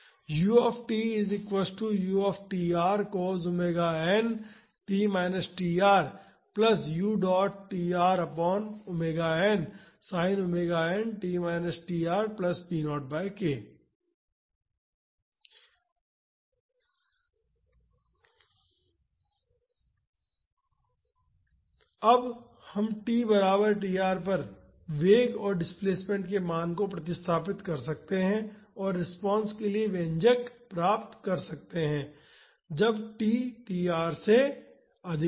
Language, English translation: Hindi, Now, we can substitute the value of velocity and displacement at t is equal to tr and get the expression for the response when t greater than tr